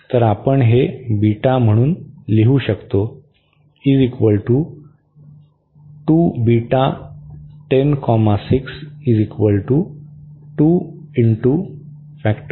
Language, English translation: Marathi, So, we can write down this as the beta